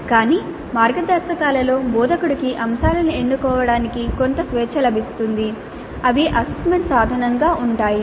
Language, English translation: Telugu, But within these guidelines certain freedom certainly is available to the instructor to choose the items which constitute the assessment instrument